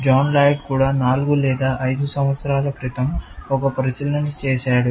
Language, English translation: Telugu, John Laird also made an observation about four or five years ago